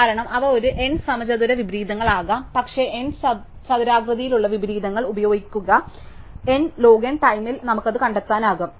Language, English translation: Malayalam, Because, they could be a n squared inversions, but use there are n squared inversions, we could find that out in n log n time